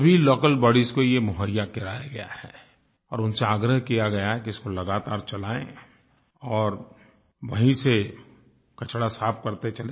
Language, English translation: Hindi, All local bodies have been given this facility and they have been urged to carry on with this work continuously and clean all the garbage from the river